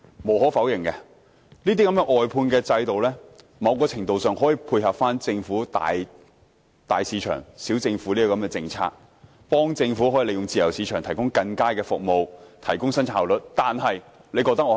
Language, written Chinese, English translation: Cantonese, 無可否認，外判制度某程度上可以配合政府"大市場，小政府"的政策，幫助政府利用自由市場提供更佳的服務，提高生產效率。, Undeniably the outsourcing system can to a certain extent complement the Governments policy of big market small government thereby assisting the Government in providing better services and enhancing productivity by capitalizing on the free market